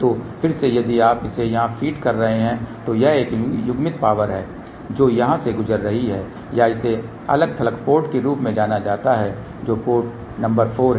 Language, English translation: Hindi, So, again so if you are feeding it over here this is the coupled power which is going through here or this is known as isolated port which is port number 4